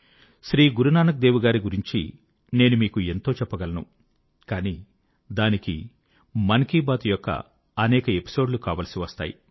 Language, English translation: Telugu, There is much about Guru Nanak Dev ji that I can share with you, but it will require many an episode of Mann ki Baat